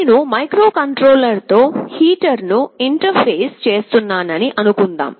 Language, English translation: Telugu, Let me tell you here suppose I am interfacing a heater with a microcontroller